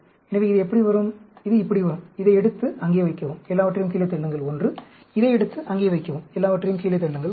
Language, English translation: Tamil, So, this will come like this; take this, put it there; push everything down 1; take this, put it there; push everything down 1